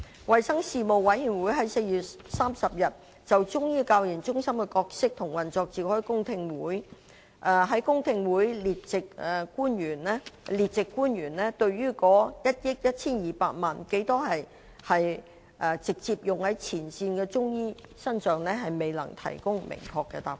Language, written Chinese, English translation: Cantonese, 衞生事務委員會於4月30日就中醫教研中心的角色和運作召開公聽會，在公聽會上，列席官員對於在1億 1,200 萬元中，有多少錢是直接用於前線的中醫師身上，未能提供明確的答覆。, On 30 April the Panel on Health Services held a public hearing on the role and operation of CMCTRs . At that public hearing the public officers attended were unable to provide a definite reply to the question of how much from that 112 million is directly used on the frontline Chinese medicine practitioners